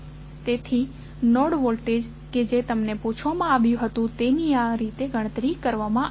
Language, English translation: Gujarati, So, the node voltages which are asked to determine have been calculated in this way